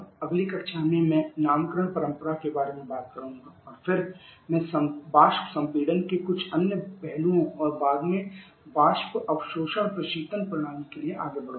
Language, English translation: Hindi, I would like to stop here itself in the next class I shall have talking about the naming convention and then I shall be moving to a few other aspects of vapour compression and subsequent the vapour absorption refrigeration system